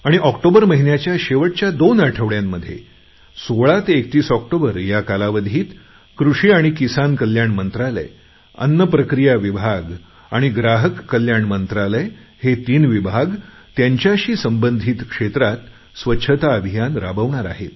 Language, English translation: Marathi, Then during last two weeks of October from 16th October to 31st October, three more departments, namely Agriculture and Farmer Welfare, Food Processing Industries and Consumer Affairs are going to take up cleanliness campaigns in the concerned areas